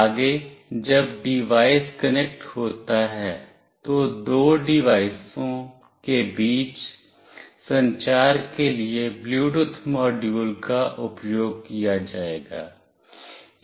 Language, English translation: Hindi, Next when the device is connected, so the Bluetooth module will be used for communicating between two device